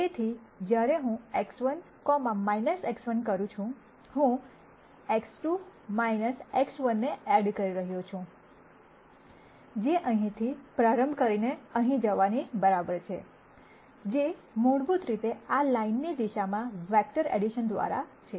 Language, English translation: Gujarati, So, when I do X 2 minus X 1 I am adding X 2 1 minus X 1, which is equivalent to starting from here and going here ; which is basically through vector addition in the direction of this line